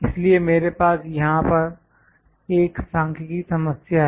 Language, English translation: Hindi, So, I have this numerical problem here